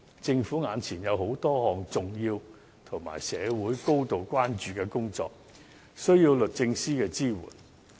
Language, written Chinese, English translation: Cantonese, 政府目前有多項重要及社會高度關注的工作，需要律政司的支援。, Currently the Government has to handle a number of important tasks which the community is gravely concerned about and the support of the Department of Justice is required